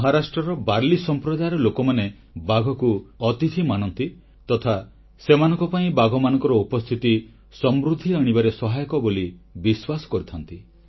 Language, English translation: Odia, People of Warli Community in Maharashtra consider tigers as their guests and for them the presence of tigers is a good omen indicating prosperity